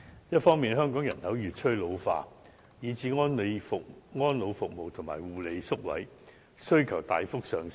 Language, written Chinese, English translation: Cantonese, 一方面，香港人口越趨老化，以致安老服務及護理宿位需求大幅上升。, First Hong Kongs population has been ageing increasingly leading to a surge in the demand for elderly services as well as care and attention homes